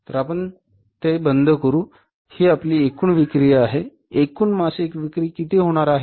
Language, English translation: Marathi, These are your total sales, total monthly sales are going to be how much